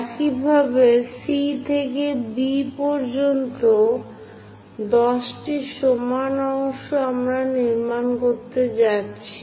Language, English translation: Bengali, Similarly, from C to B also 10 equal parts we are going to construct